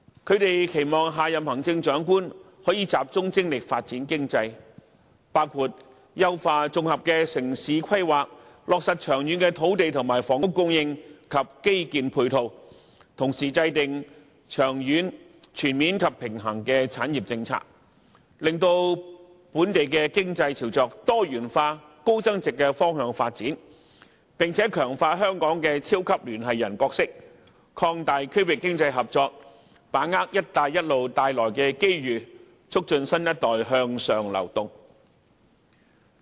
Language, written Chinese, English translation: Cantonese, 他們期望下任行政長官能集中精力發展經濟，包括優化綜合城市規劃，落實長遠的土地和房屋供應及基建配套，同時制訂長遠、全面及平衡的產業政策，令本地經濟朝着多元化、高增值的方向發展，並強化香港的超級聯繫人角色，擴大區域經濟合作，把握"一帶一路"帶來的機遇，促進新一代向上流動。, They hope that the next Chief Executive can focus on economic development including the enhancement of integrated town planning and ensuring the long - term supply of land and housing and infrastructure support . It is also hoped that he or she can draw up a long - term comprehensive and balanced industrial policy and steer the local economy towards diversified and high value - added development . Moreover people also hope that he or she can strengthen Hong Kongs role as a super connector help expand regional economic cooperation seize the opportunities arising from the Belt and Road Initiative and enhance the upward social mobility of the new generation